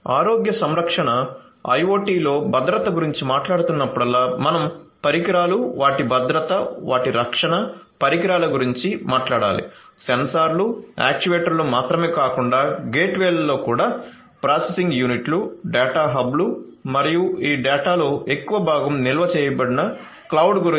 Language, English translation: Telugu, So, whenever we are talking about security in healthcare IoT we have to talk about the device devices their security their protection devices would include not only the sensors actuators and so on but also in the gateways the processing units, the data hubs and also the cloud to where most of this data are stored